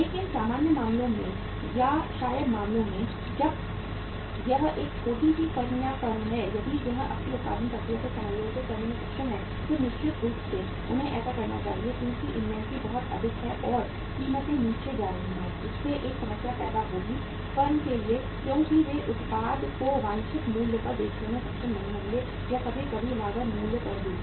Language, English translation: Hindi, But in the normal cases or maybe in the cases when it is a small firm or the firm if it is able to adjust its production process then certainly they should do it because inventory is very high and prices are going down so that will create a problem for the firm because they would not be able to even sell the product at the desired price or sometime not even at the cost price